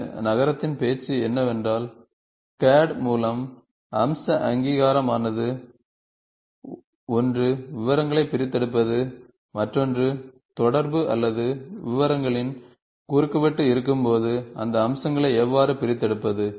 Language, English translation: Tamil, Today the talk of the town is, feature recognition through CAD, is a talk of a town, one is extraction of details, the two is interaction or when there is a intersection of details, then how do you extract those features